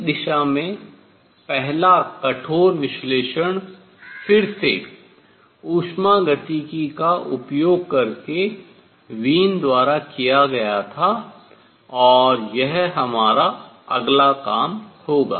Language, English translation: Hindi, The first rigorous analysis in this direction, again using thermodynamics was done by Wien and that will be our next job to do